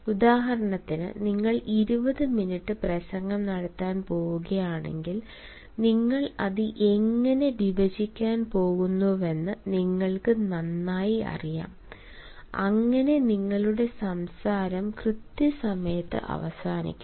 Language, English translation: Malayalam, say, for example, if you are going to deliver a talk of twenty minutes, you know well how you are going to divide it on and in a way so that your talk ends on time